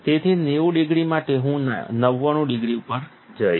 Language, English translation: Gujarati, So, for 90 degrees, I would go to 99 degrees